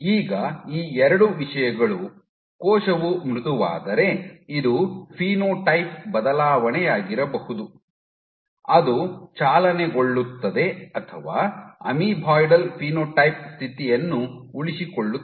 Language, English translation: Kannada, Now, these 2 things if the cell becomes soft can this be a phenotype change, which drives or which sustains the amoeboidal phenotype state